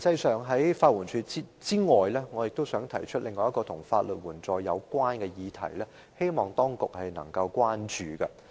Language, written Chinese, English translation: Cantonese, 除了法援署外，我亦想提出另一項與法律援助相關的議題，希望當局多加關注。, Apart from LAD I would like to raise another question relating to legal aid to which I would like to draw the attention of the authorities